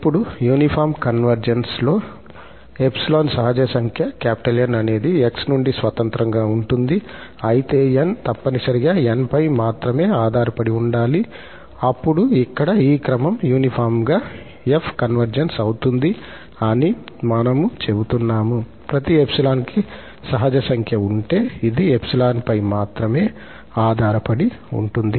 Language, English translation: Telugu, Now, in the uniform convergence, if there exist a natural number N free from this x, so, N must depend only on epsilon, then, we say that this sequence here converges uniformly to f, if for each epsilon there is a natural number N which depends on epsilon only